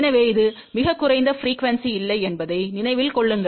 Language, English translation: Tamil, So, remember it is at the lowest frequency not at the highest frequency